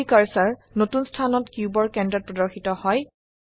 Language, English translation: Assamese, The 3D cursor snaps to the centre of the cube in the new location